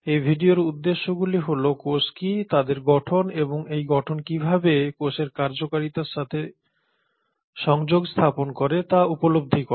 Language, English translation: Bengali, The objectives of this video are to develop an understanding of what are cells and what is their structure and how this structure interconnects with the function of the cell